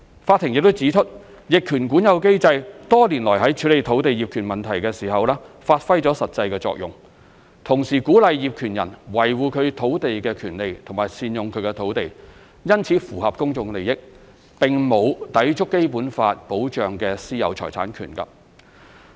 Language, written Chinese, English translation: Cantonese, 法庭亦指出，逆權管有機制多年來在處理土地業權問題時發揮實際作用，同時鼓勵業權人維護其土地權利和善用其土地，因此符合公眾利益，並沒有抵觸《基本法》保障的私有財產權。, The court also pointed out that the mechanism of adverse possession has been instrumental in tackling land title issues over the years while encouraging landowners to safeguard their land rights and to make good use of their land . Therefore the mechanism is considered to meet the public interest and does not contravene the right of private ownership of property as protected by the Basic Law